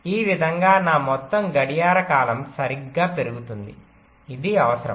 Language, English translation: Telugu, in this way my total clock period will go up right